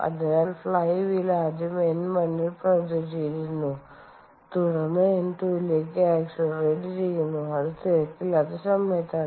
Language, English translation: Malayalam, so let us say the flywheel was running at, initially at n one sorry, n one and then accelerates to n two, and this is during the off peak hours